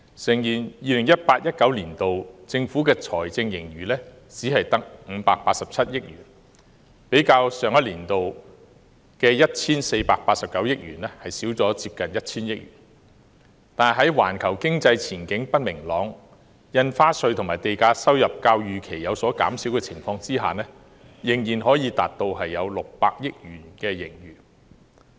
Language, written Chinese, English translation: Cantonese, 誠然 ，2018-2019 年度政府的財政盈餘只有587億元，較上年的 1,489 億元減少近 1,000 億元，但在環球經濟不明朗、印花稅和地價收入較預期有所減少的情況下，仍可達到近600億元盈餘。, Indeed the fiscal surplus of the Government has decreased by almost 100 billion from 148.9 billion last year to 58.7 billion only in 2018 - 2019 . But with an uncertain outlook of the global economy and the lower - than - expected revenue from stamp duty and land premium it has still recorded a fiscal surplus of nearly 60 billion